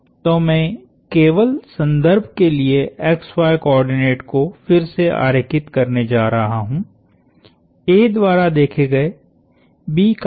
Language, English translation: Hindi, So, I am going to draw the xy coordinates just for reference again, minus r of B as observed by A is 1